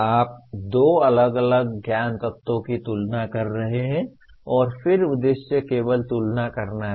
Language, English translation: Hindi, You are comparing two different knowledge elements and then the purpose is only comparing